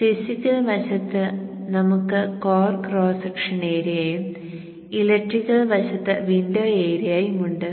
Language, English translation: Malayalam, So on the physical side we have the core cross section area and the window area